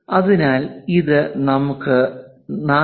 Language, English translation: Malayalam, So, this is 1